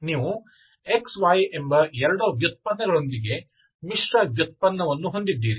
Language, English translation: Kannada, If you have xy, you have mixed derivative with xy, 2 derivatives